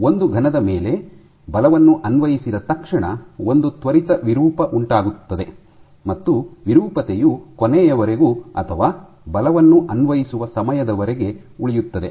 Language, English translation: Kannada, So, for a solid you know that as soon as the force is applied you have an instantaneous deformation, and the deformation remains like that till the end or the duration over which the force is applied